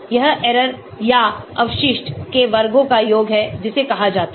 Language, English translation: Hindi, This is sum of squares of error or residual that is called